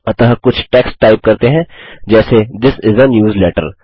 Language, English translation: Hindi, So let us type some text like This is a newsletter